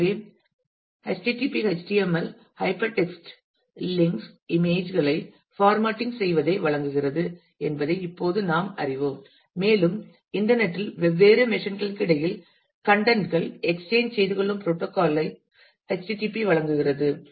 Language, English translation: Tamil, So, we know by now that http HTML provides the formatting the hyper text links images and so, on and http provides the protocol through which the contents are exchanged between different machines in the internet